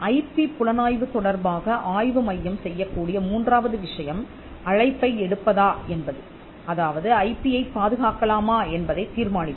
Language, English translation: Tamil, The third thing that an IP centre can do with regard to IP intelligence is to take the call or decide whether to protect the IP